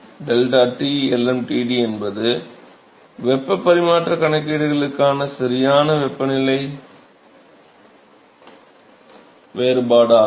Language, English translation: Tamil, So, deltaT lmtd is actually the correct temperature difference for heat transfer calculations